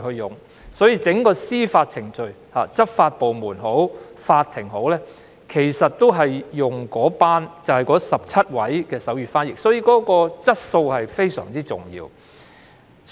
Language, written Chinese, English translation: Cantonese, 因此，在整個司法程序中，不論是執法部門或法庭，均會聘用該17名手語傳譯員，因此手語傳譯的質素非常重要。, Hence throughout judicial proceedings both law enforcement agencies and courts would engage the 17 sign language interpreters . For this reason the quality of sign language interpretation is very important